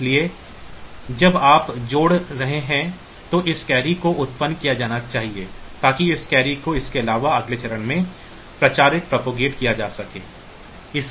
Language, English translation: Hindi, So, when you are adding these to this carry should be generated so, that this carry can be propagated to the next stage of addition